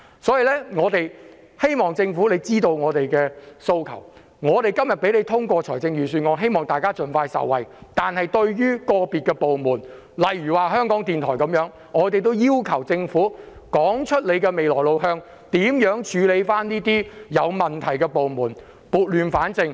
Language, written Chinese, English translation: Cantonese, 所以，我們希望政府知道我們的訴求，我們今天支持通過預算案，是希望市民可以盡快受惠，但對於個別部門，例如香港電台，我們要求政府說清楚未來的路向，將會如何處理這些有問題的部門，撥亂反正。, We will support the passage of the Budget . We want people to benefit as soon as possible . As for certain departments such as Radio Television Hong Kong we ask the Government to clearly indicate their way forward and how it will handle these problematic departments so as to bring order out of chaos